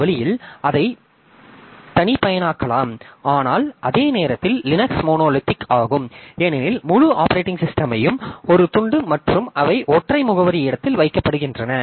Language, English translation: Tamil, But at the same time, Linux is monolithic because entire operating system is a single piece and they are put into the single address space